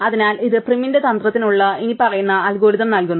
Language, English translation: Malayalam, So, this gives us the following algorithm for prim's strategy